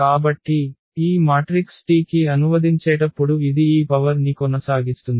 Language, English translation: Telugu, So, this will continue this power here on translating to this matrix T